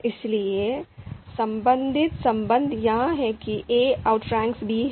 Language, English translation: Hindi, So you know outranking relation is that a outranks b